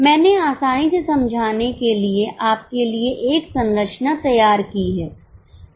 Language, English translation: Hindi, I have just drawn a structure for you for ease of understanding